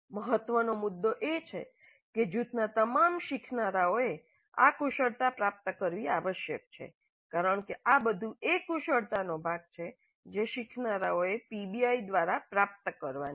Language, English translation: Gujarati, The important point is that all the learners in the group must acquire these skills because these are all part of the skills that the learners are supposed to acquire through the PBI